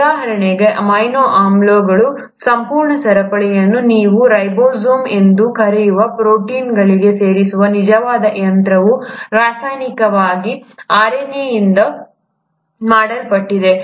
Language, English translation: Kannada, For example, the actual machinery which puts this entire chain of amino acids into a protein which you call as the ribosomes, is chemically made up of RNA